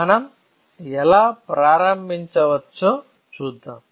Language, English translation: Telugu, Let us see how can we start